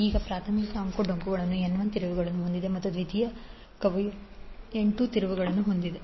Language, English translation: Kannada, Now primary winding is having N 1 turns and secondary is having N 2 turns